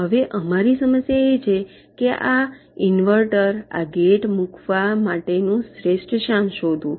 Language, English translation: Gujarati, now our problem is to find out the best location to place this in invert at this gate